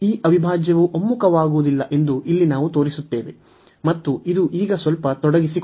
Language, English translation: Kannada, So, here we will show now that this integral does not converge, and this is a bit involved now